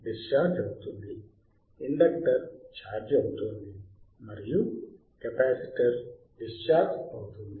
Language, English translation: Telugu, Now, the inductor is charged and capacitor is discharged